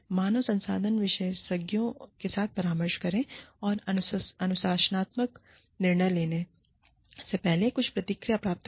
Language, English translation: Hindi, Consult with human resources experts, and get some feedback, before making a disciplinary decision